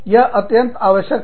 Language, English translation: Hindi, It is absolutely essential